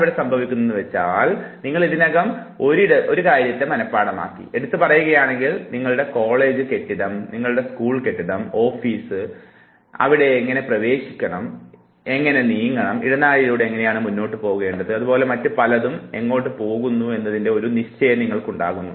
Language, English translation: Malayalam, Now what happens here is that you have already a memorized space, say for instance, your college building, your school building, your office, so you have a walk through you know where to enter, how to move, how does the corridor move ahead, what leads to where and so for